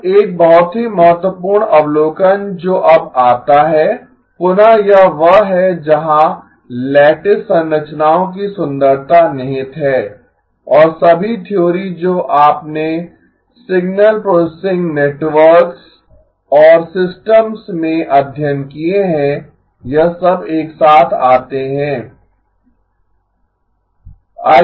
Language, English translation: Hindi, ” Now a very important observation that comes now again this is where the beauty of the lattice structures lies and all of the theory that you have studied in signal processing networks and systems all of it come together